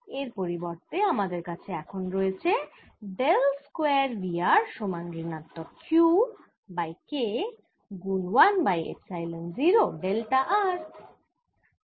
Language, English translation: Bengali, what equation i have now is dell square: v r is equal to minus q over k, one over epsilon zero k delta r